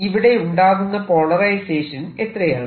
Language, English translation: Malayalam, what about the polarization inside